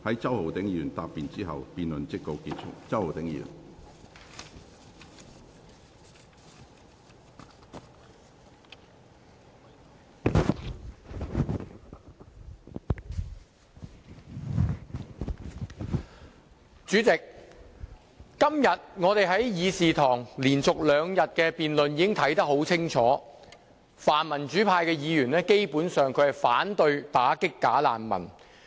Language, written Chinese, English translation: Cantonese, 主席，在議事堂連續兩天的辯論中，我們可以清楚看到，泛民主派議員基本上是反對打擊"假難民"。, President during the debate held in this Chamber for two consecutive days we can see clearly that pan - democratic Members are basically opposed to the idea of combating bogus refugees